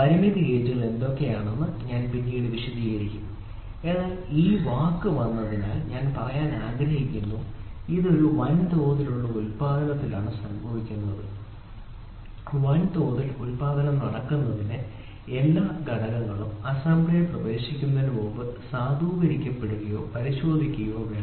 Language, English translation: Malayalam, What are limit gauges we will cover little later, but since the word has come I would like to say see it is the in a mass production what happens mass production every component would be like to be validated or checked before it gets into assembly